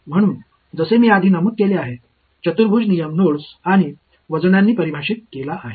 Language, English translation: Marathi, So, as I have mentioned before a quadrature rule is defined by the nodes and the weights